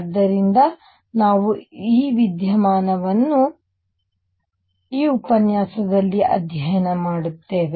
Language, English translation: Kannada, So, we will study this phenomena in this lecture